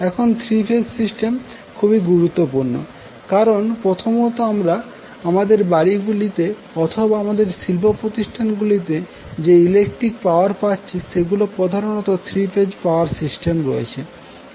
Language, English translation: Bengali, Because, there are 3 major reasons of that, first, the electric power which we get in our houses or in our industrial establishments are mainly the 3 phase power